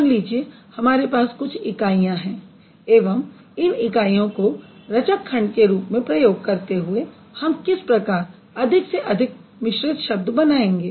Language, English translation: Hindi, Let's say we have certain number of parts or certain number of units and using those units at the building blocks how we are going to build more complex words